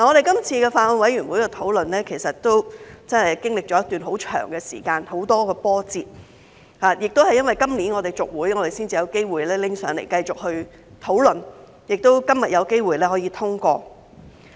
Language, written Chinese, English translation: Cantonese, 今次法案委員會的討論真的經歷了一段很長時間，有很多波折，亦因為今年我們延任，《條例草案》才有機會交上來繼續討論，且於今天有機會通過。, The discussion of the Bills Committee this time has really been lengthy and is full of twists and turns . Thanks to the extension of our term of office this year the Bill has the opportunity to be submitted for further discussion and be passed today